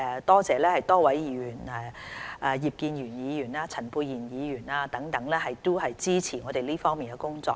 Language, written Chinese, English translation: Cantonese, 多謝多位議員包括葉建源議員和陳沛然議員等支持我們這方面的工作。, I am grateful to Members such as Mr IP Kin - yuen and Dr Pierre CHAN for their support of our work in this respect